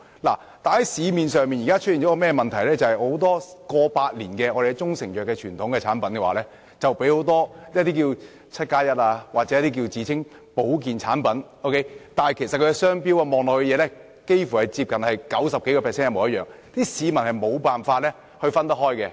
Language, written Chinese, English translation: Cantonese, 現時市面上出現一個問題，不少擁有過百年傳統的中成藥產品被很多 "1+7" 或自稱保健產品模仿，它們的商標驟眼看幾乎超過九成相同，市民根本無法分辨。, The problem that has surfaced in the market now is that many proprietary Chinese medicine products with a tradition of more than a hundred years are imitated by 17 labelled products or self - proclaimed health products with trademarks which are 90 % identical at a glance making it hard for the public to tell the difference